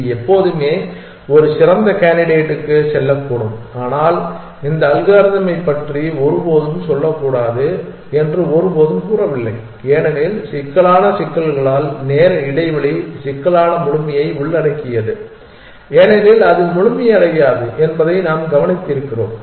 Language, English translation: Tamil, It could always move to a better candidate, but never does says must to be said about this algorithm why because of the complexity issues involved time space complexity completeness as we have just observed it is not complete